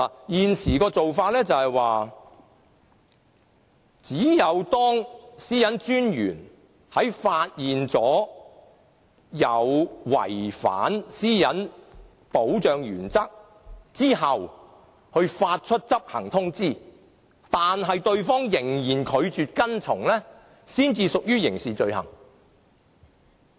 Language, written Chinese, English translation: Cantonese, 現時的做法是，當私隱專員在發現有人違反私隱保障原則後，會發出執行通知，如對方仍然拒絕跟從，才屬於刑事罪行。, Under the current practice when the Privacy Commissioner finds that a person is in breach of the privacy protection principle an enforcement notice will be issued; and if that person deliberately refuses to comply with the notice he will be held criminally liable for the offence